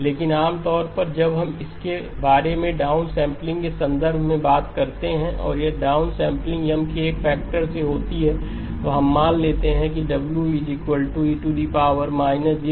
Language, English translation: Hindi, But usually when we talk about it in the context of down sampling and if the down sampling is by a factor of M then we assume that the W term is defined with, so this would be e power minus j 2pi over M into K